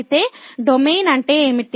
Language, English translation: Telugu, So, what is the Domain